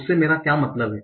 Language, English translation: Hindi, What do I mean by that